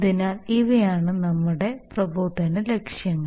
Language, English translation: Malayalam, So that’s, these are our instructional objectives